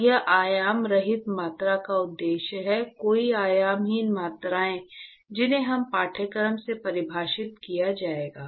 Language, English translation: Hindi, So, it is the purpose of dimensionless quantities, as you will see down this course; many dimensionless quantities that will be defined in this course